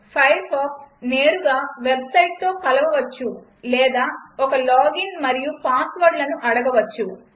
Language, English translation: Telugu, Firefox could connect to the website directly or it could ask for a login and password